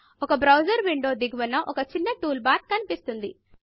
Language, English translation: Telugu, A small toolbar appears at the bottom of the browser window